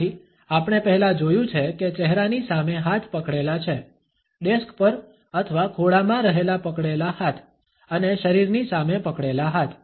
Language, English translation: Gujarati, Hence as we have seen earlier clenched in front of the face, hands clenched resting on the desk or on the lap and while standing hands clenched in front of the body